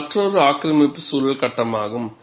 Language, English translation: Tamil, This is another aggressive environment phase